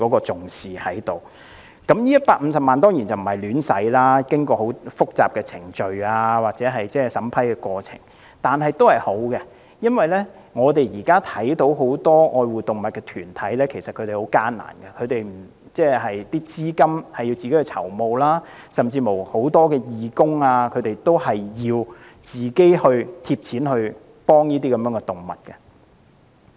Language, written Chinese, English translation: Cantonese, 這150萬元當然不會胡亂使用，需要經過很複雜的程序及審批過程，但始終是好事，因為現時很多愛護動物團體其實經營也很艱難，需要自行籌募資金，而很多義工甚至需要自掏腰包幫助動物。, The funding of 1.5 million will not be used carelessly as it can only be used after going through very complicated procedures and vetting processes . However it is still a good measure because many animal welfare organizations are currently operating with great difficulties . They have to raise funds themselves and many voluntary workers may have to pay out of their own pockets to help animals